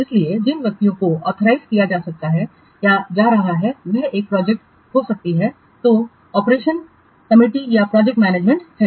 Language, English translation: Hindi, So, those persons which have been authorized might be a project what steering committee or the project manager